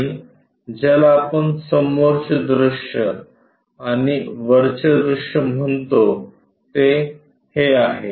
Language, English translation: Marathi, And, this one what we call front view and this one top view